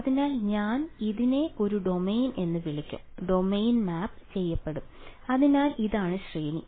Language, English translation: Malayalam, So, I will call this a domain and the domain gets mapped to the range right; so this is the range ok